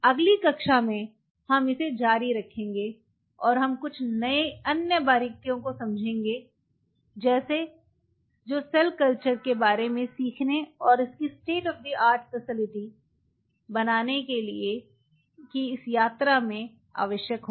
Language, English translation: Hindi, So, I will close in here in the next class we will continue it further and we will explain some of the other integrity details what will be needing in this journey of learning about cell culture and making it a state of art facility